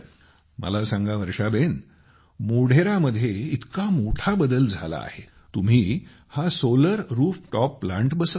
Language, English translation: Marathi, Tell me, the big transformation that came in Modhera, you got this Solar Rooftop Plant installed